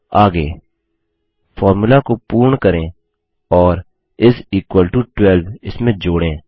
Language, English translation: Hindi, Next let us complete the formula and add is equal to 12 to it